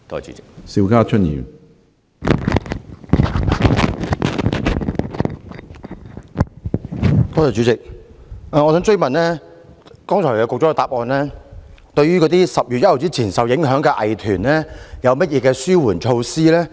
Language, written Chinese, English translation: Cantonese, 主席，局長在主體答覆中未有提到對10月1日前受影響的藝團有何紓緩措施。, President the Secretary has not mentioned in his main reply any relief measures for arts groups affected before 1 October